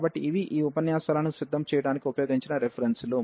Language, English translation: Telugu, So, these are the references which were used to prepare these lectures